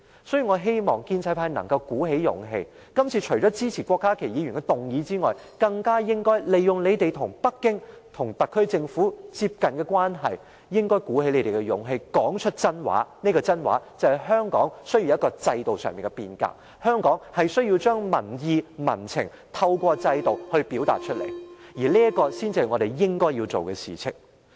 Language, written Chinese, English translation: Cantonese, 所以，我希望建制派能鼓起勇氣，除了支持郭家麒議員的議案外，更應利用你們與北京、特區政府比較接近的關係，鼓起勇氣，說出實話：香港需要制度上的變革，香港需要透過制度將民意、民情表達出來，這才是我們應該要做的事情。, Therefore I hope Members of the pro - establishment camp would pluck up courage to not only support Dr KWOK Ka - kis motion but also take advantage of their relatively closer relationship with Beijing and the HKSAR Government to tell the truth Hong Kong is in need of a reform of its system and what we should do is to let public opinions and views be heard under this system of Hong Kong